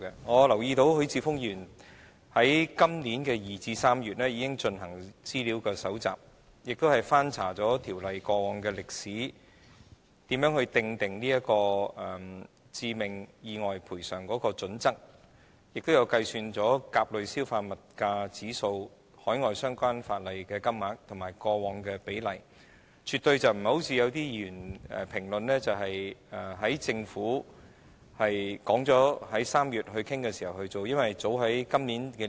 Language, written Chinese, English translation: Cantonese, 我留意到，許智峯議員在今年2月至3月期間已搜集資料，翻查《條例》過往的歷史，以了解訂定致命意外賠償金額的準則，亦按甲類消費物價指數計算了海外相關法例的金額及以往的比例，而絕非某些議員的評論般，是在政府表明會於3月討論後才進行的。, I notice that during the period from February to March this year Mr HUI Chi - fung already began to do research and go through the history of the Ordinance in a bid to understand the criteria for determining the compensation amount for fatal accidents . He also adopted the Consumer Price Index A CPIA as the basis for computing the relevant sums and their previous proportions under overseas legislation . This is in total contrast to certain Members comment that Mr HUI only began to do such work after the Government had expressly indicated that it would hold discussions in March